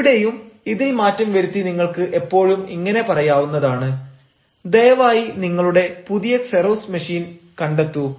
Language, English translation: Malayalam, once again, here also, this can be changed, and you can always say: please find your new xerox machine